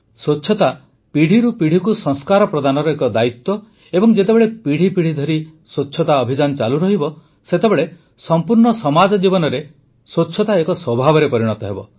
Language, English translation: Odia, This cleanliness is a responsibility of the transition of sanskar from generation to generation and when the campaign for cleanliness continues generation after generation in the entire society cleanliness as a trait gets imbibed